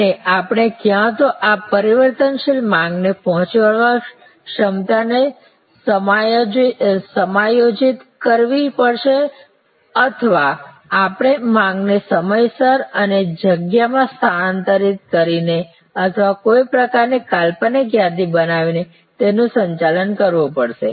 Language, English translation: Gujarati, And we have to either adjust the capacity to meet this variable demand or we have to manage the demand itself by shifting it in time, shifting it in space or create some kind of notional inventory